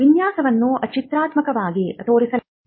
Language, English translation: Kannada, The design is also shown in a graphical representation